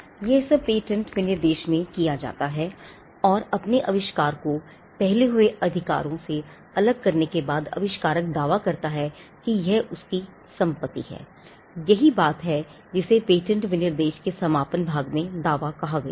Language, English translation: Hindi, All this is done in the patent specification, and after the inventor distinguishes his invention from what has gone before, he claims as something to be his own property, that is what is contained as I said in the concluding part of the patent specification what we call the claims